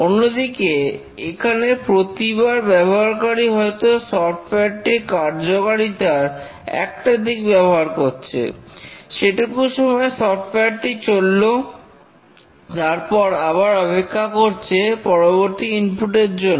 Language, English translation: Bengali, Whereas here the software each time the user invokes a functionality, the software runs for a small time and then keeps waiting for the next input